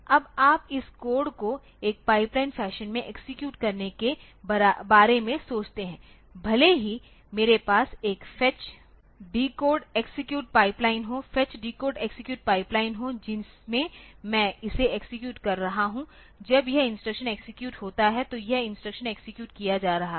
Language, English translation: Hindi, Now, you think about executing this code in a pipelined fashion so, even if I have a fetch, decode, execute pipeline fetch, decode, execute pipeline in which I am executing it so, when this instruction is executed so, when this instruction is being executed